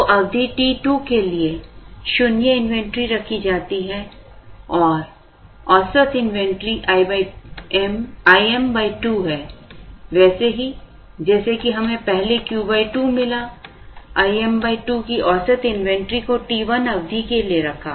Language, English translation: Hindi, So, zero inventory is held for a period t 2, the average inventory of I m by 2 just as we got Q by 2 in the earlier, the average inventory of I m by 2 is held for a period t 1